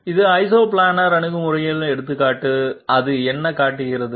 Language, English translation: Tamil, This is an example of Isoplanar approach, what does it show